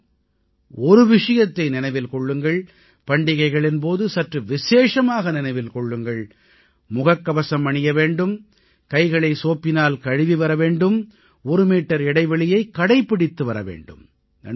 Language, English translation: Tamil, However, do remember and more so during the festivals wear your masks, keep washing your hands with soap and maintain two yards of social distance